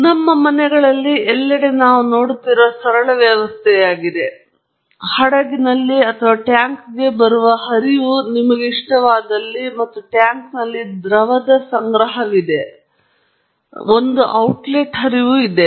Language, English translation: Kannada, Now, this is a very simple system that we see in our households everywhere, and also in industries, where there is a flow coming into a vessel or a tank, if you like it, and there is some storage of the liquid in a tank, and then, there is an outlet flow